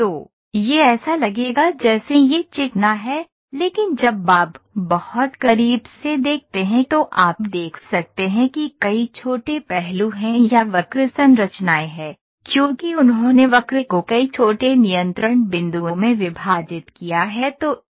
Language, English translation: Hindi, So, it will look as though it is smooth, but when you watch very closely you can see several small facets are there or curve structures, because they have discretized the curve into several small control point